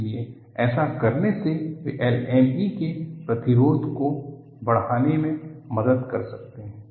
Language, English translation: Hindi, So, by doing this, they can help to enhance resistance to LME